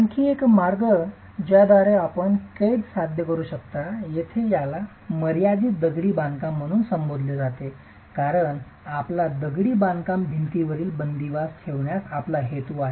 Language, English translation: Marathi, Another way in which you can achieve confinement here it's referred to as confined masonry because you intend to provide confinement to the masonry wall